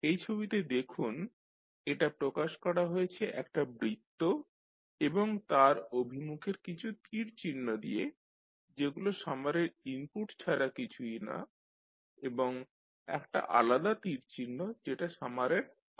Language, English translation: Bengali, If you see this figure it is represented by a circle and number of arrows directed towards it which are nothing but the input for the summer and one single arrow which is nothing but the output of the summer